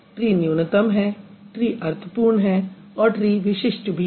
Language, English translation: Hindi, Tree is minimal, tree is meaningful and tree is distinctive